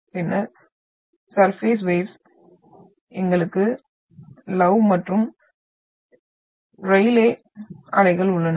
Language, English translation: Tamil, And then surface waves, we have love and rayleigh waves